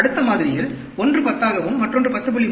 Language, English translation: Tamil, In the next sample, one could be 10 and another could be 10